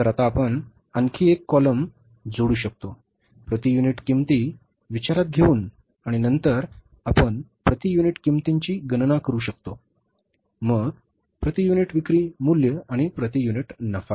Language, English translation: Marathi, So, we can add up one more column now, taking into account the per unit cost, and then we can calculate the per unit cost, then the per unit sales value, and the per unit profit